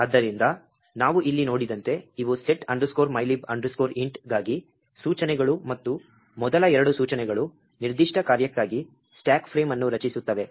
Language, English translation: Kannada, So, as we see over here these are the instructions for set mylib int and the first two instructions creates the stack frame for that particular function